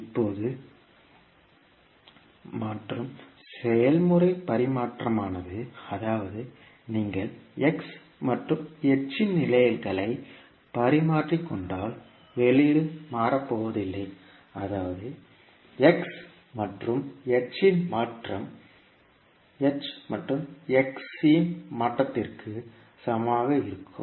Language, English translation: Tamil, Now the convolution process is commutative, that means if you interchange the positions of x and h, the output is not going to change that means convolution of x and h will be same as convolution of h and x